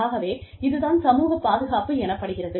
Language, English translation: Tamil, And, this is called social security